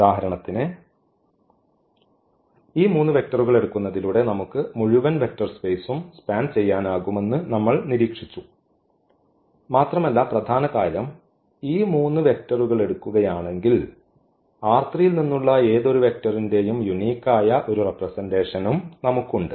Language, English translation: Malayalam, So, for instance in this case we have observed that taking these 3 vectors we can span the whole vector space and also the moreover the main point is that we have also the unique representation of the vector form R 3 if we take these 3 vectors